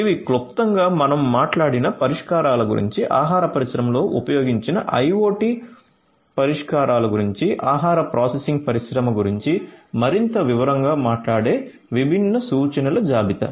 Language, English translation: Telugu, So, these are a list of different references talking in more detail about the solutions that I have talked about briefly, IoT solutions that have been used in the food industry, food processing industry and so on